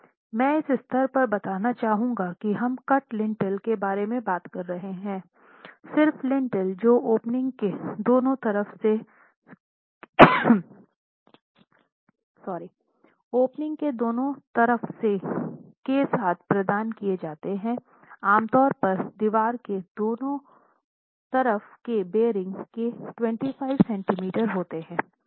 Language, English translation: Hindi, I would like to state at this stage that what we are talking about are cut lintels, just lintels which are provided for the opening with some bearing on either sides, typically about 25 centimeters of bearing on either sides of the wall